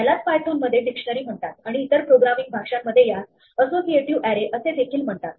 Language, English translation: Marathi, This is what python calls a dictionary, in some other programming languages this is also called an associative array